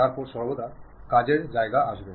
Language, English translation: Bengali, Then the working space always be coming